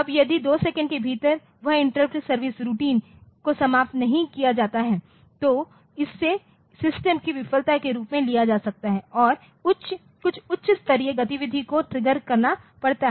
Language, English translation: Hindi, Now, if that inter service routine is not over by within 2 second then it maybe take it is taken as a failure for the system and some higher level activity has to be triggered